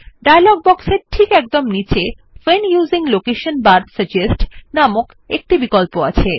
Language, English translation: Bengali, At the very bottom of the dialog box, is an option named When using location bar, suggest